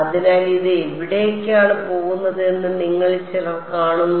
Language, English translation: Malayalam, So, some of you see where this is going